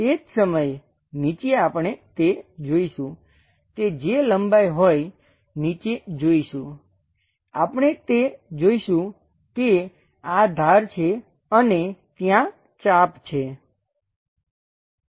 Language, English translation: Gujarati, At the same time, bottom also we will see that bottom also whatever that length, we will see that these are perfect edges and there is an arc